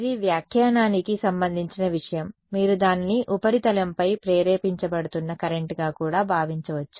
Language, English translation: Telugu, That is a matter of interpretation you can also think of it as a current that is being induced on the surface